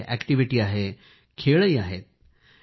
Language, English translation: Marathi, In this, there are activities too and games as well